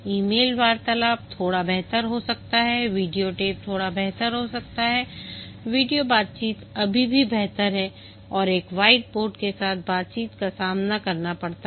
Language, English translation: Hindi, Video tape, slightly better, video conversation is still better and face to face conversation with a whiteboard